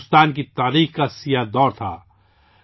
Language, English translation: Urdu, It was a dark period in the history of India